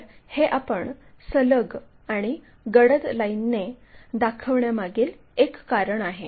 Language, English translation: Marathi, That is also one of the reason we show it by dark continuous lines